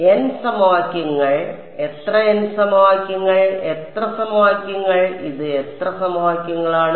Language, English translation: Malayalam, n equations, how many n equations and how many equations, how many equations is this